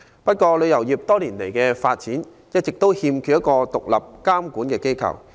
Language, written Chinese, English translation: Cantonese, 不過，旅遊業多年來一直缺乏獨立的監管機構。, The travel industry has however long been lacking an independent regulatory authority